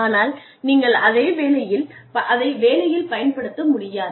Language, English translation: Tamil, But, you are not able to use it on the job